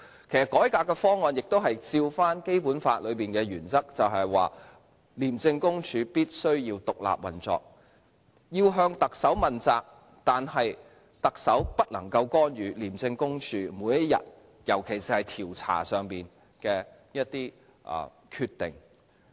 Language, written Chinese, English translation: Cantonese, 其實，改革的方案亦按照《基本法》的原則，就是廉政公署必須獨立運作，要向特首問責，但特首不能夠干預廉政公署每天的運作，尤其是調查方面的決定。, In fact the reform proposal is formulated in accordance with the principle of the Basic Law that is ICAC must operate independently and should be accountable to the Chief Executive but the Chief Executive cannot interfere in the daily operation of ICAC especially the decision - making in regard to investigation